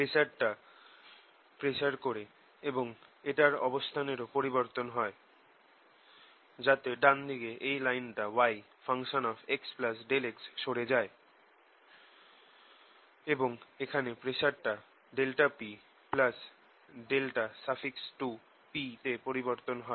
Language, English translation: Bengali, special propagation is also change its position, so that on the right hand side this line moves by y x plus delta x, and pressure out here changes by delta p plus some delta